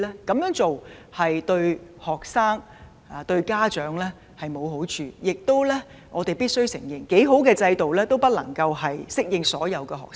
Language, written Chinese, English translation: Cantonese, 這樣做對學生及家長均沒有好處，而且我們必須承認，更好的制度也不能適用於所有學生。, This is not beneficial to both students and parents . Also we have to admit that even the best system may not be applicable to all students